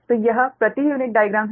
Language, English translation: Hindi, so this is that per unit diagram